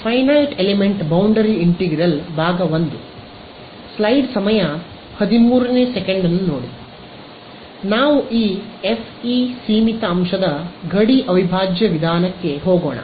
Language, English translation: Kannada, So, let us get into this FE Finite Element Boundary Integral method ok